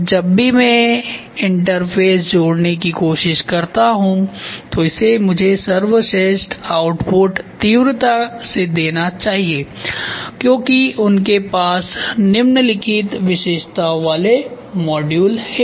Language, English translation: Hindi, And whenever I try to interface join it should give me the best output very fast they have the fallowing characteristics module ok